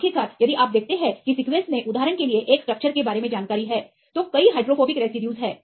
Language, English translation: Hindi, Eventually if you see that the sequence contains the information regarding a structure for example, there are several hydrophobic residues